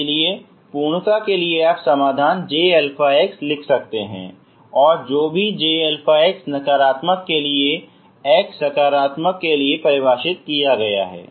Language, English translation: Hindi, So just for the sake of completeness you can write solutions j alpha j alpha and whatever j alpha for the negative for this is for x positive